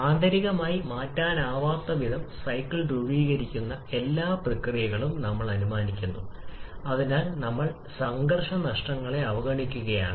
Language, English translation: Malayalam, We are assuming all the process constituting the cycle to internally irreversible so we are neglecting the frictional losses